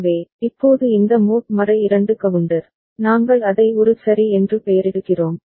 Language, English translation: Tamil, So, now this mod 2 counter, we are naming it as A ok